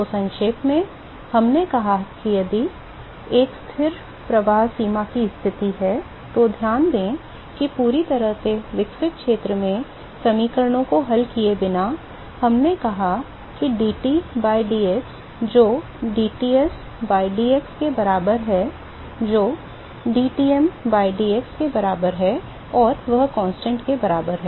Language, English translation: Hindi, So, just to recap, we said if it is a constant flux boundary condition, so, note that without solving equations in the fully developed region, we said that dT by dx that is equal to dTs by dx that is equal to dTm by dx and that is equal to constant ok